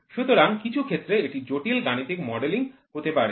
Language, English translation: Bengali, So, in some cases it may lead to complicated mathematical modelling